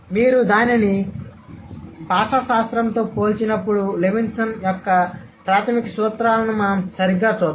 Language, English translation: Telugu, So, when you compare it with the linguistic, the fundamental principles of Levinsonian principle let's say, right